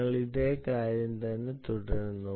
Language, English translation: Malayalam, ah, we continue with the same exercise